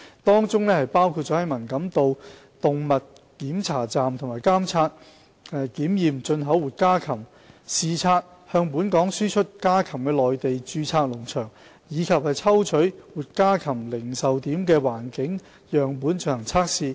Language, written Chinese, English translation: Cantonese, 當中包括在文錦渡動物檢查站監察及檢驗進口活家禽；視察向本港輸出家禽的內地註冊農場；以及抽取活家禽零售點的環境樣本進行測試。, The work includes conducting surveillance and inspection of imported live poultry at the Man Kam To Animal Inspection Station inspecting registered farms in the Mainland that export poultry to Hong Kong and taking environmental samples from live poultry retail outlets for testing